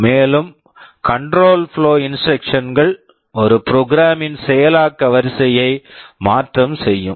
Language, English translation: Tamil, And, control flow instructions are those that will alter the sequence of execution of a program